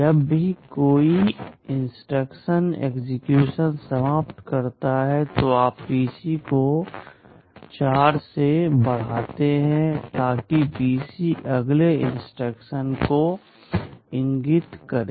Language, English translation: Hindi, Whenever one instruction finishes execution, you increment PC by 4, so that PC will point to the next instruction